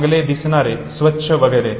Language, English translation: Marathi, Good looking, clean and so on